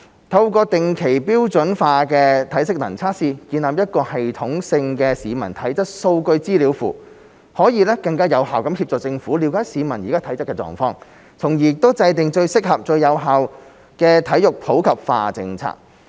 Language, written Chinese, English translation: Cantonese, 透過定期標準化的體適能測試，建立一個系統性的市民體質數據資料庫，可以更有效協助政府了解市民的體質狀況，從而訂定最合適、最有效的體育普及化政策。, Through conducting standardized territory - wide physical fitness tests regularly we can set up a database on the physical fitness of Hong Kong people which will more effectively assist the Government in understanding peoples fitness conditions and formulating most suitable and effective policies for promoting sports for all